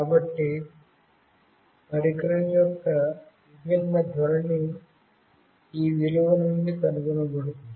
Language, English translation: Telugu, So, different orientation of a device could be figured out from this value